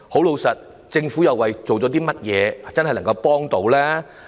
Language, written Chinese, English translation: Cantonese, 老實說，政府下了甚麼工夫，真正協助他們呢？, Frankly what efforts has the Government made to genuinely help them?